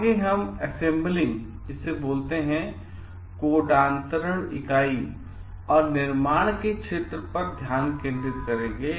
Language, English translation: Hindi, Next we will focus on the area of assembly and construction